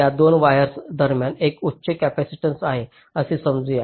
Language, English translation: Marathi, so between these two wires there is a high capacitance